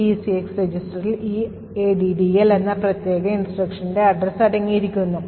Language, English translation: Malayalam, Thus, the ECX register contains the address of this particular instruction, the addl instruction